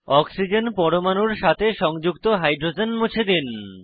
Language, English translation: Bengali, Delete the hydrogens attached to the oxygen atoms